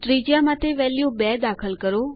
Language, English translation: Gujarati, enter value 2 for radius